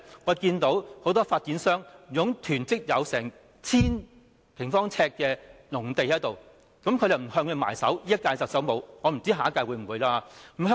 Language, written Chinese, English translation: Cantonese, 我們看到很多發展商囤積達 1,000 平方呎的農地，現任特首並無向他們"埋手"——我不知道下屆特首會不會？, We can see that many developers are hoarding on 1 000 sq ft of farmland but the incumbent Chief Executive has not wielded the axe at them―I am not sure if the next Chief Executive will do that?―not to wield the axe at them and then says no land supply